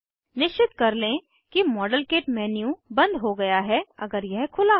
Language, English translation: Hindi, Ensure that the modelkit menu is closed, if it is open